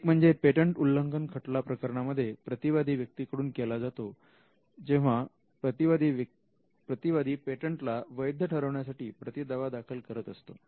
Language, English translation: Marathi, One, it could be generated by a defendant in a patent infringement suit; where the defendant wants to raise a counterclaim to invalidate the patent